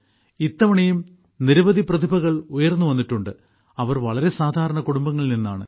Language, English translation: Malayalam, This time too many such talents have emerged, who are from very ordinary families